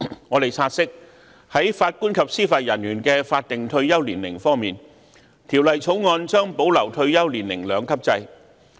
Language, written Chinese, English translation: Cantonese, 我們察悉，在法官及司法人員的法定退休年齡方面，《條例草案》將保留退休年齡兩級制。, We note that in respect of the statutory retirement ages of JJOs the two - tier retirement age system will be retained under the Bill